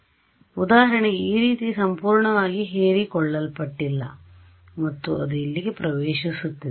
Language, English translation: Kannada, So, for example, something like this entered not fully absorbed and then it enters over here ok